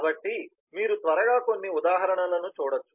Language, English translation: Telugu, so you could go through some examples quickly